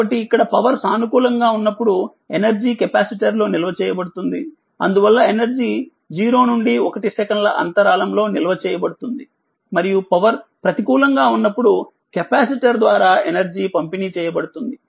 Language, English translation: Telugu, So, here that your energy is being stored in the capacitor whenever the power is positive, hence energy is being stored in the interval 0 to 1 second right and energy is being delivered by the capacitor whenever the power is negative